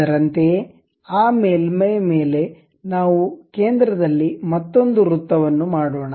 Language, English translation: Kannada, Similarly, on top of that surface, let us make another circle at center